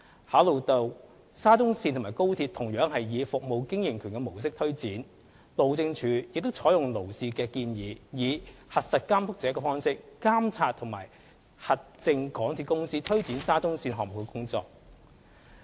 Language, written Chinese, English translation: Cantonese, 考慮到沙中線與高鐵同樣以"服務經營權"模式推展，路政署亦採用勞氏的建議，以"核實監督者"的方式監察和核證港鐵公司推展沙中線項目的工作。, Considering that both projects of SCL and XRL are implemented under the concession approach HyD adopted Lloyds recommendation that the Government will perform the Check the Checker role to monitor and verify MTRCL in carrying out the works of SCL